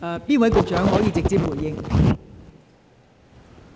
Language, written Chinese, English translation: Cantonese, 哪位官員可直接回應？, Which public officer can respond directly?